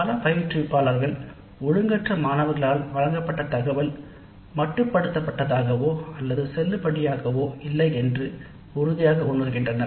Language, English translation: Tamil, Many instructors strongly feel that the data provided by irregular within courts, irregular students has limited or no validity